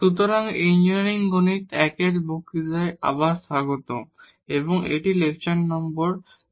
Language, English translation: Bengali, So, welcome back to the lectures on Engineering Mathematics I and this is lecture number 19